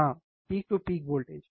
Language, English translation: Hindi, Yeah, yes, peak to peak voltage